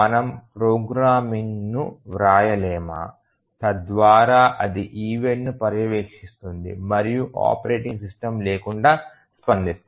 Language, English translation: Telugu, Can’t the programming itself we write so that it monitors the event and responds without operating system